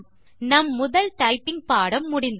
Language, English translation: Tamil, We have learnt our first typing lesson